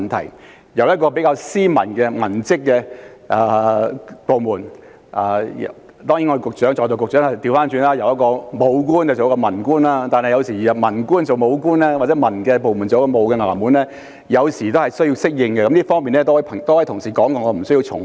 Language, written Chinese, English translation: Cantonese, 執行當局是一個比較斯文的文職部門，雖然在座局長也是由武官轉做文官，但由文官轉做武官或由文職部門執行武官職務，有時候的確需要適應，在這方面已有多位同事提及，我無需重複。, The executive authority in question is a civilian department which usually adopts a softer approach and although the Secretary present used to be a disciplined services officer before his transfer to the present civilian post it does take time for a civilian officer to adapt to a disciplinary officer post and the same is true for a civilian department which is tasked with the work of disciplined services officers . A number of colleagues have mentioned this point and I need not repeat